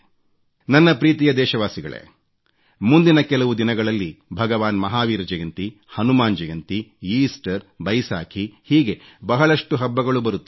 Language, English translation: Kannada, My dear countrymen, a spectrum of many festivals would dawn upon us in the next few days Bhagwan Mahavir Jayanti, Hanuman Jayanti, Easter and the Baisakhi